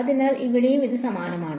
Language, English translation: Malayalam, So, this is similar over here alright